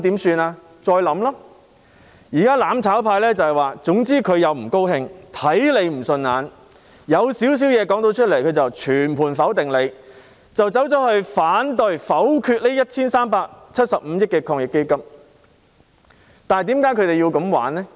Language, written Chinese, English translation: Cantonese, 現在"攬炒派"的做法卻是，總之他們不喜歡、看不順眼、稍有瑕疵的，他們便會全盤否定，因而反對、否決這 1,375 億元的防疫抗疫基金撥款。, Nonetheless what the mutual destruction camp is doing now in short is to reject totally anything that they dislike or not pleasing to the eye or anything with even the slightest flaws . Thus they have objected and voted against the 137.5 billion AEF funding